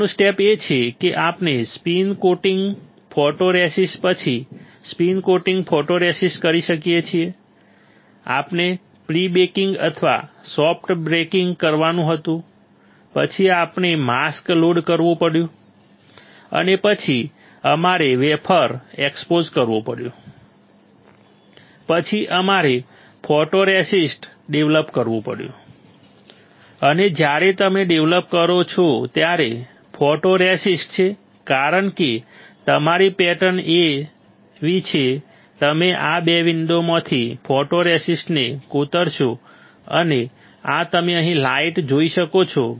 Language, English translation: Gujarati, Next step is we spin coat photoresist after spin coating photoresist we had to do prebaking right or soft baking then we have to load the mask, and then we had to expose the wafer, then we had to develop the photoresist, and when you develop the photoresist because your patterns are such that, you will etch the photoresist from these 2 windows this one and this one you can see here light